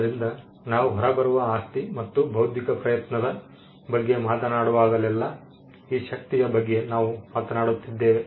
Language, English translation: Kannada, So, whenever we talk about the property that comes out and intellectual effort, it is this strength that we are talking about